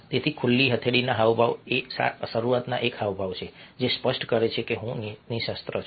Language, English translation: Gujarati, so open palm gestures is a initially adjusted which makes it very clear that i am unarmed, i am not carrying any weapons